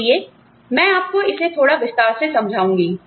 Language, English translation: Hindi, So, I will explain this to you, in a little bit of detail